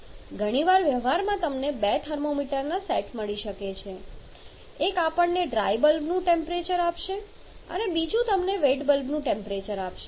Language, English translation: Gujarati, You may get sets of 2 thermometer one we will giving you the rival temperature other giving you the wet bulb temperature